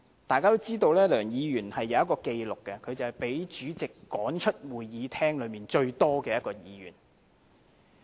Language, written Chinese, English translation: Cantonese, 大家也知道，梁議員有一項紀錄，便是被主席趕出會議廳最多次的一位議員。, Everyone knows that Mr LEUNG is a record holder . That is he is the one who has been most frequently ordered to be expelled from the Chamber by the President